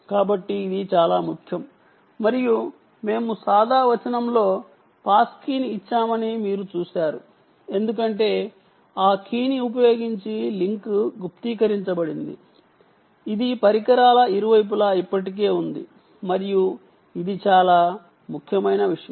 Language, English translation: Telugu, ok, so that is important, and you may have seen that we gave a pass key in plain text because the link is encrypted using that key that is already there on on either end of the devices, and this is a very important ah thing